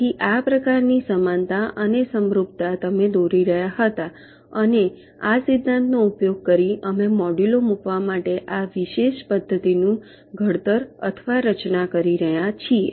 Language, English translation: Gujarati, so this kind of similarity or analogy you were drawing and using this principle we are faming, or formulating this particular method for placing the modules